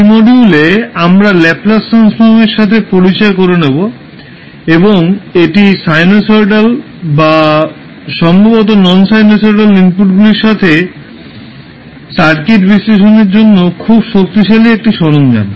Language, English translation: Bengali, So in this module we will be introduced with the Laplace transform and this is very powerful tool for analyzing the circuit with sinusoidal or maybe the non sinusoidal inputs